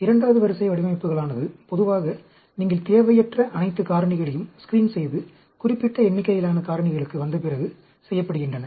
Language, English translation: Tamil, Second order designs are generally done after you screen all the unwanted factors and come down to a limited number of factors